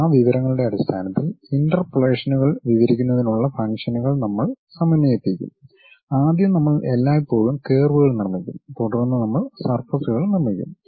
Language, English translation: Malayalam, Based on that information we will blend the functions to describe the interpolations and first we will always construct curves and then we will go with surfaces